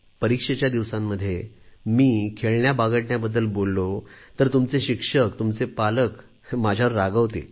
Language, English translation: Marathi, During exam days, if I talk about sports and games, your teachers, your parents will be angry with me